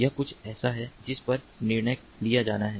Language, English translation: Hindi, this is something that has to be decided upon